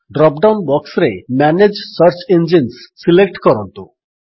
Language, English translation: Odia, In the drop down box, select Manage Search Engines